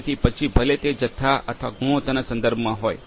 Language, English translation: Gujarati, So, whether it is with respect to the quantity or quality